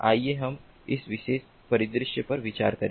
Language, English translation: Hindi, let us consider this particular scenario